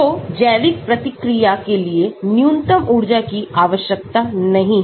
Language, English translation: Hindi, So, the biological reaction need not be the lowest energy